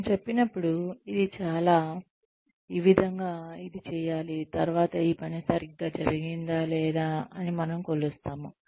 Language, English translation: Telugu, When we say, this is how, it should be done, this is how, we will measure, whether this job has been done properly or not